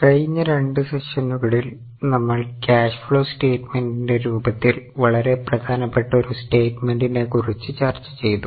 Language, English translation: Malayalam, In last two sessions, we have been in the very important statements that is in the form of cash flow statement